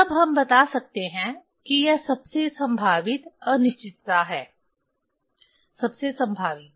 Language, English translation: Hindi, Then we can tell that this most probable uncertainty most probable